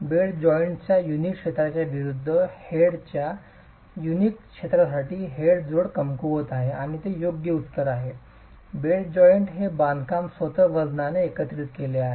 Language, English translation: Marathi, For unit area of the head joint versus unit area of the bed joint the head joint, the head joint is weaker and that's the right answer is that the bed joint is consolidated by the weight of the construction itself